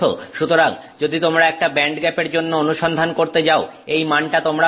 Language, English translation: Bengali, So, you go searching for a band gap, this is the value that you will get